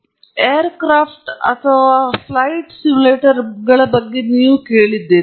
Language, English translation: Kannada, You have heard of air craft or flight simulators